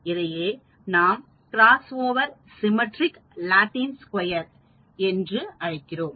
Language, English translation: Tamil, So, this is called the Cross Over Symmetric Latin Square Deign 4 by 4